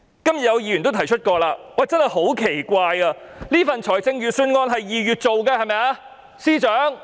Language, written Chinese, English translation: Cantonese, 今天有議員也提出過，真的十分奇怪，這份預算案是在2月擬備的，對嗎，司長？, As some Members have also mentioned today it is really very strange that this Budget was prepared in February was it not Secretary?